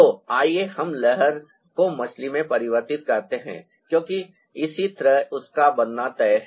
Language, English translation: Hindi, so let's convert the wave into the fish, because that's how it is destined to be